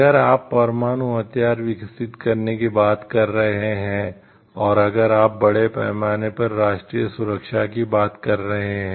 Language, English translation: Hindi, If you are talking of having if you are talking of developing nuclear weapon and, if you are talking of the security of the country at large